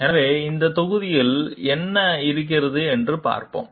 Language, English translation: Tamil, So, let us see like what is there in this module